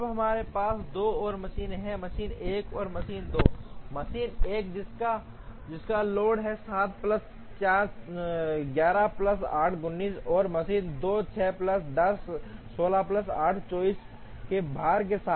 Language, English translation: Hindi, Now we have two more machines machine 1 and machine 2, machine 1 with a load of 7 plus 4, 11 plus 8, 19, and machine 2 with a load of 6 plus 10, 16 plus 8, 24